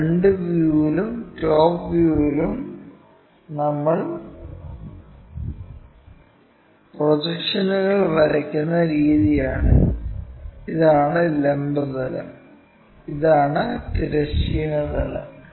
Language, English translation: Malayalam, This is the way we draw projections in the front view and also in the top view, this is the vertical plane, this is the horizontal plane